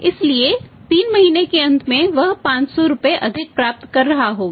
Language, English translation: Hindi, So, at the end of 3 months he would have ended up getting 500 rupees more